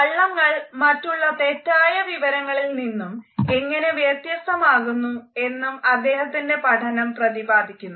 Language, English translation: Malayalam, His study describes how lies vary in form and can differ from other types of misinformation